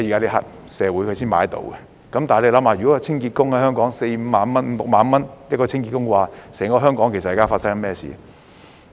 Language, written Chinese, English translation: Cantonese, 但試想想，如果香港清潔工的工資為四五萬元、五六萬元，整個香港會發生甚麼事？, Yet imagine what would happen if a cleaning worker in Hong Kong made 40,000 to 50,000 or 50,000 to 60,000 a month